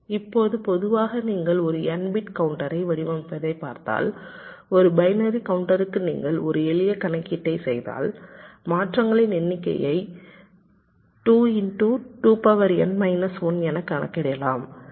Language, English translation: Tamil, now, in general terms, if you look at an n bit counter design for a binary counter, if you make a simple calculation, the number of toggles can be calculated as two into two to the power n minus one